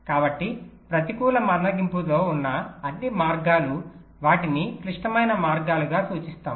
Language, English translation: Telugu, so all paths with a negative slack, they are refer to as critical paths